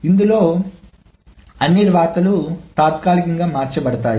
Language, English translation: Telugu, So all the rights are temporarily changed in this